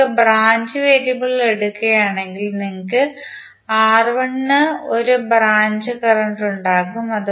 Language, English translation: Malayalam, But if you take the branch variable, you will have 1 for branch current for R1